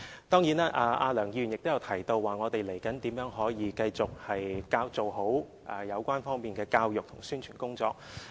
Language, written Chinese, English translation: Cantonese, 當然，梁議員亦提到，未來我們可如何繼續做好有關方面的教育和宣傳工作。, Surely Dr LEUNG also mentioned how we can continue to step up education and publicity efforts